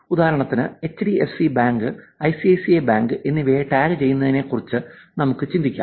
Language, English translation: Malayalam, For example, we could actually think of the same thing tagging HDFC Bank, ICICI Bank